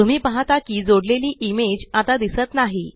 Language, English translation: Marathi, You see that the linked image is no longer visible